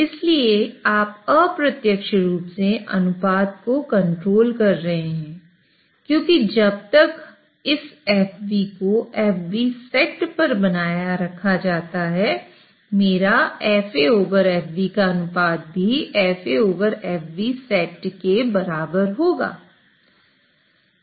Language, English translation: Hindi, So you are indirectly controlling the ratio because as long as this FB is maintained at FB set, my ratio of FAA over FB will be set equal to FAA over FB set